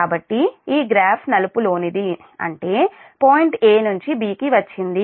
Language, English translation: Telugu, so this, this will start from point b to point c